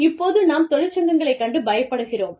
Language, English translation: Tamil, We are scared of unions